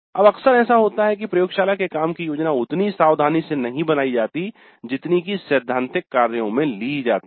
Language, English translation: Hindi, Now often it happens that the laboratory work is not planned as carefully as the theory work